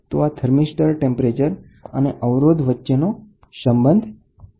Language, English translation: Gujarati, So, this is the relationship between thermistor temperature and resistance